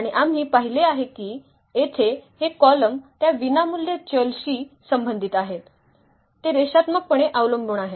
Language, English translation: Marathi, And we have seen that these columns here corresponding to those free variables, they are linearly dependent